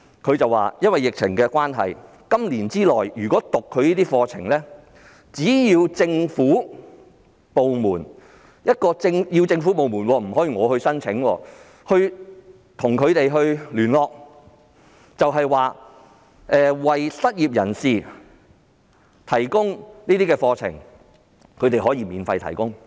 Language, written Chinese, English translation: Cantonese, 他們表示，由於疫情關係，在本年內，只要政府部門——必須是政府部門，不能個人——與他們聯絡，有意為失業人士提供有關課程，該機構可以免費提供課程。, They have said that owing to the epidemic as long as any government departments―it must be government departments but not individuals―approach them within this year and indicate their intention to offer the relevant courses to unemployed people the institution can provide their courses free of charge